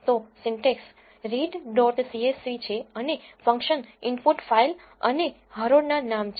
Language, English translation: Gujarati, So, the syntax is read dot csv and the inputs to the function are file and row names